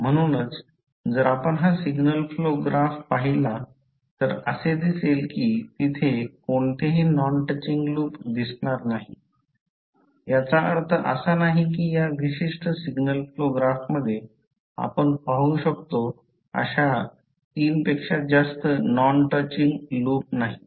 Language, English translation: Marathi, So, if you see this signal flow graph you will not be, you will see that there is no any non touching loop, which means there is no, not more than three non touching loops you can see in this particular signal flow graph